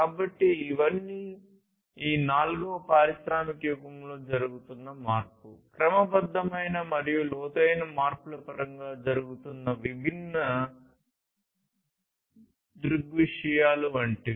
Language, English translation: Telugu, So, these are all like different phenomena that are happening in terms of change, systematic and profound change that are happening in this fourth industrial age